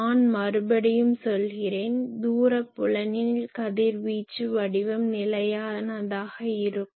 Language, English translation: Tamil, I again tell you that radiation pattern in the far field only the radiation pattern get stable